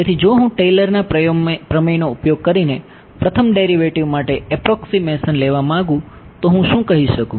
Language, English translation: Gujarati, So, if I wanted an approximation for the first derivative using Taylor’s theorem, what can I say